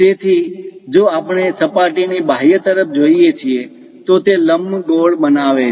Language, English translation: Gujarati, So, if we are looking at on the exterior of the surface, it might be making an ellipse